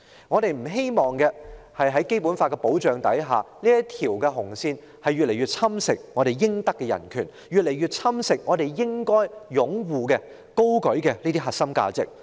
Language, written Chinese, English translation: Cantonese, 我們不希望在《基本法》的保障下，這條"紅線"逐步侵蝕我們應享的人權，逐步侵蝕我們應該擁護、高舉的核心價值。, We hope that under the protection of the Basic Law the human rights to which we entitled as well as the core values we support and advocate will not be eroded by this red line gradually